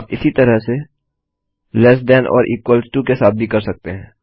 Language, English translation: Hindi, You can also do the same with less than or equal to